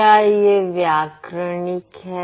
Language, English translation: Hindi, It is grammatical